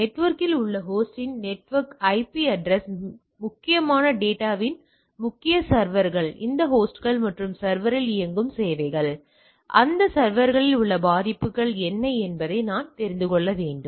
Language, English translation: Tamil, I need to know that what the networks IP address of the host on the network, key servers on the critical data, services running on those host and server, vulnerabilities on those server